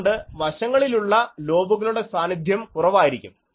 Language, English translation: Malayalam, So, side lobes in effect will be kept below